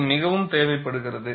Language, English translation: Tamil, This is very important